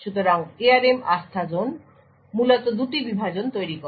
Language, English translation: Bengali, So, the ARM Trustzone essentially creates two partitions